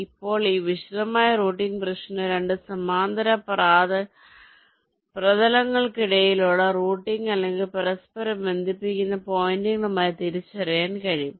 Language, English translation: Malayalam, now this detail routing problem can be identified as routing or interconnecting points between two parallel surface